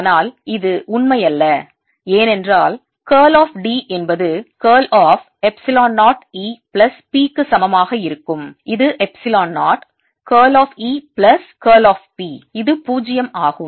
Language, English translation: Tamil, but this is not necessarily true, because curl of d will be equal to curl of epsilon zero, e plus p, which is epsilon zero, curl of e plus curl of p